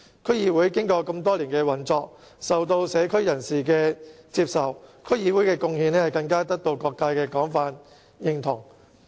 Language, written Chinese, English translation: Cantonese, 區議會經過多年來的運作，受到社區人士接受，其貢獻更得到各界的廣泛認同。, Having operated for so many years they are accepted by people in the local communities and their contribution has also won the widespread approval of various sectors